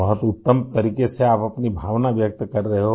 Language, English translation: Hindi, You are expressing your sentiment very well